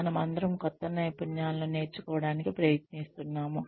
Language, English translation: Telugu, We are all trying to learn newer skills